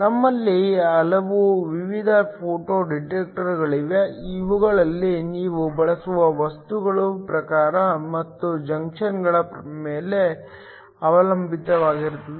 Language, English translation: Kannada, We have a wide variety of photo detectors these depend upon the type of materials you use and also on the junctions that are found